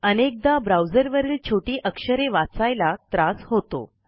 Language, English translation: Marathi, Some people have trouble looking at small script in their browsers